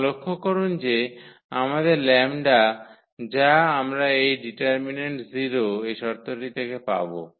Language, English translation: Bengali, And, note that our lambda which we will get with this condition that the determinant is 0